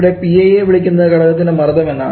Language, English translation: Malayalam, Yeah this Pi is referred as the component pressure